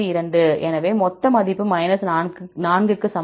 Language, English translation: Tamil, So, total value equal to 4